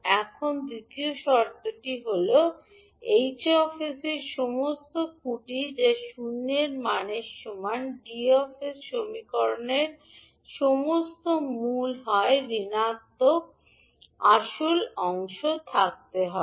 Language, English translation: Bengali, Now the second condition is that all poles of h s that is all roots of the denominator equation that is d s equal to zero must have negative real parts